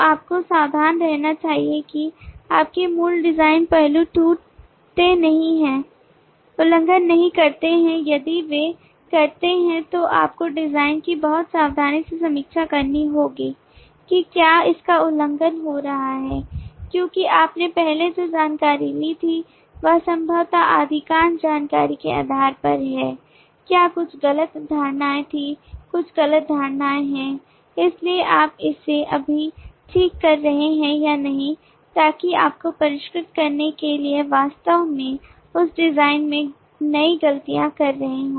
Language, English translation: Hindi, you should be careful that your original design aspects do not broken, do not get violated if they do then you will have to review the design very carefully to see whether it is getting violated because what you had assumed earlier possibly based on partial information what had some wrong notions, some misconceptions so you are correcting it now or whether in order to refine you are actually making new mistakes in that design